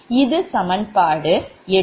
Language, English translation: Tamil, this is equation nineteen